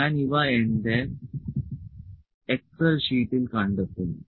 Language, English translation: Malayalam, So, I will just spot these to my excel sheet